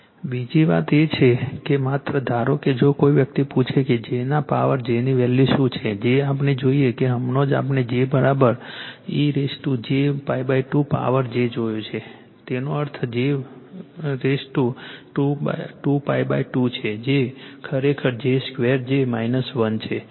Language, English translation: Gujarati, Another thing is with that only suppose if somebody ask you , that your what is the value of j to the power j , j we have seen , just now we have seen j is equal to e to the power j pi by 2 to the power j; that means, e to the power , j square pi by 2 right that that is is equal to actually j square is minus 1